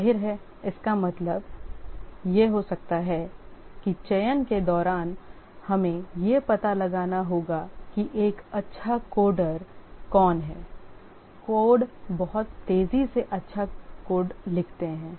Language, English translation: Hindi, Obviously this can be interpreted to mean that during the selection we need to find out who is a good coder, codes very fast, writes good code